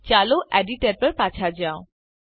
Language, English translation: Gujarati, Let us go back to the Editor